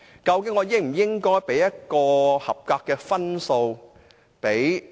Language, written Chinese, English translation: Cantonese, 究竟我應否給予預算案合格的分數呢？, Should I give a passing score to the Budget?